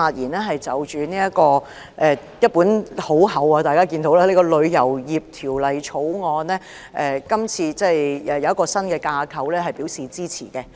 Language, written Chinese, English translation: Cantonese, 大家看到這是一本很厚的《條例草案》，對於設立一個新架構，我表示支持。, As Members can see the Bill is voluminous . Regarding the establishment of a new framework I will give my support